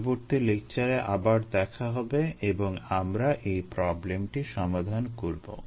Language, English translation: Bengali, ah, we will meet in the next lecture and ah, we will solve this problem, see you